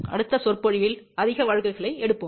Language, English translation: Tamil, We will take more cases in the next lecture